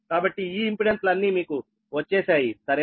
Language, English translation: Telugu, so all these impedances you have got right